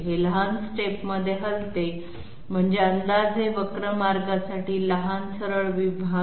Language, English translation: Marathi, It moves in small I mean short straight segments to approximate a curve path